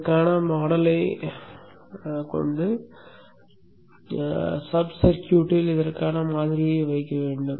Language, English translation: Tamil, We need to put in the model for this and put in the model for this into the subcircuit